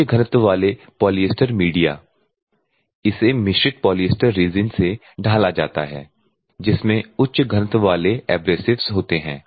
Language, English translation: Hindi, The high density polyester media see is moulded from the blended polyester resin containing a high density abrasives high density plastic media exhibit excellent